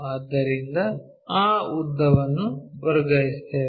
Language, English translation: Kannada, So, let us transfer that lengths